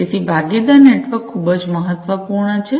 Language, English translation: Gujarati, So, partner network is very important